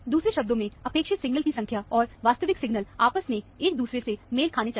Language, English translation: Hindi, In other words, the number of signal expected, and the actual signals seen, should match each other